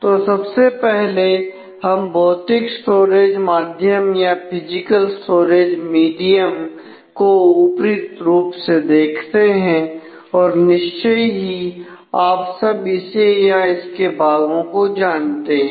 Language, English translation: Hindi, So, first let us take a overview of the physical storage medium I am sure all of you have known all or parts of this